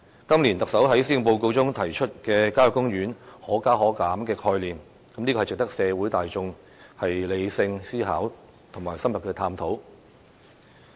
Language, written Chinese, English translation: Cantonese, 今年，特首在施政報告中提出效野公園"可加可減"的概念，值得社會大眾理性思考和深入探討。, The idea of introducing an adjustment mechanism for country parks as put forth by the Chief Executive in the Policy Address this year deserves rational consideration and thorough examination among people in the community